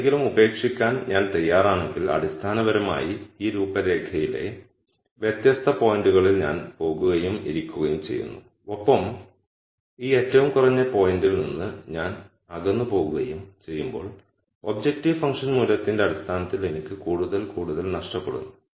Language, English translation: Malayalam, So, if I am willing to give up something that basically means I am going and sitting on different points on this contours and as I am pushed away and away from this minimum point I am losing more and more in terms of the objective function value